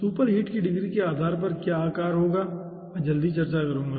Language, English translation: Hindi, what will be the size, depending on the ah degree of superheat, i will be discussing soon